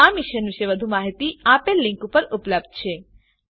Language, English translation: Gujarati, More information on this Mission is available at the following link